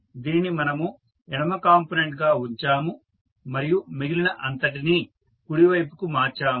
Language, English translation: Telugu, We have kept this as left component and rest we have shifted to right side